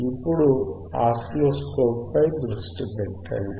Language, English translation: Telugu, Now please focus on the oscilloscope